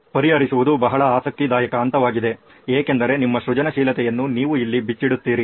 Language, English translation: Kannada, Solve is a very interesting stage because this is where you unleash your creativity